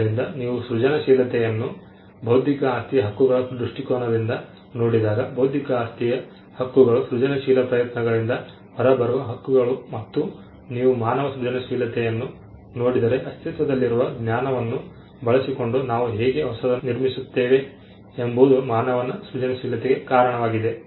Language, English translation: Kannada, So, when you look at creativity from the perspective of intellectual property rights, intellectual property rights are creative endeavors or rather the rights that come out of creative endeavors and if you look at human creativity itself human creativity can be attributed to how we build on existing knowledge